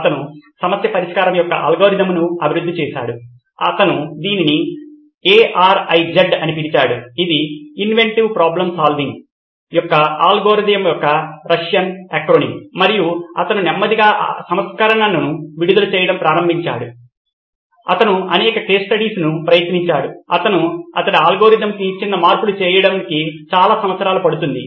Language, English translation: Telugu, He developed an algorithm of problem solving, he called it ARIZ is the Russian acronym for algorithm of inventive problem solving and he slowly started releasing version after version he tried it several case studies, he would take painstakingly take so many years to make small changes to his algorithm